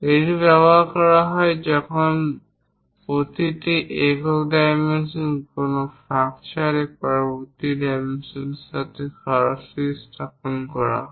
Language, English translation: Bengali, It is used when each single dimension is placed directly adjacent to the next dimension without any gap